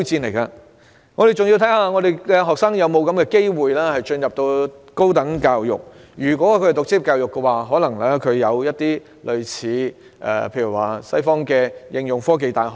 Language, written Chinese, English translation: Cantonese, 當然，還要視乎學生有否機會進入高等教育，因為如果他們選擇職業教育的話，便有可能要提供類似西方的應用科技大學。, Of course it also depends on whether students have an opportunity to pursue higher education . If they choose vocational education it would be necessary to provide an applied science and technology university similar to that of the West